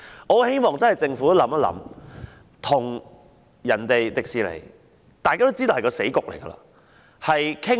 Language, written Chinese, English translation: Cantonese, 我十分希望政府考慮與華特迪士尼公司商討。, I very much hope the Government will consider negotiating with The Walt Disney Company